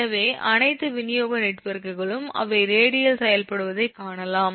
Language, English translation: Tamil, so so, therefore, all the distribution networks, you will find the operating radial